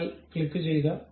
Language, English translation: Malayalam, Let us click